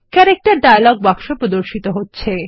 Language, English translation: Bengali, The Character dialog box is displayed